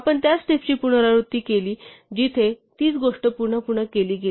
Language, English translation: Marathi, So, we have repeated steps where same thing done again and again